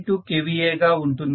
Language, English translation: Telugu, So base kVA is 2